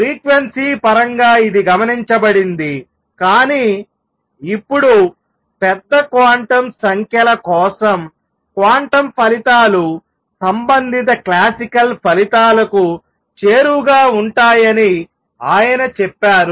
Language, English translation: Telugu, This is observed in terms of frequency, but he is saying now that for large quantum numbers quantum results go over to the corresponding classical results